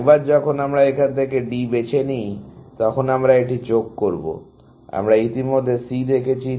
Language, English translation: Bengali, Once we pick D from here, we will add this; we have already seen C